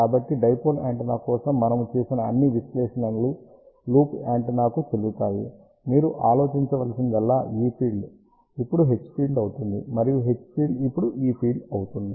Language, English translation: Telugu, So, the all the analysis, which we have done for dipole antenna will be valid for loop antenna, all you have to think about is that E field, now becomes H field, and H field now becomes E field